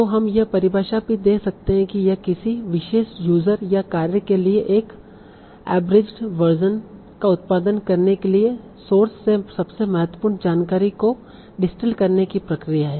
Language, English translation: Hindi, So we can also give this definition that is the process of distilling the most important information from a source to produce an abridged version for a particular user or task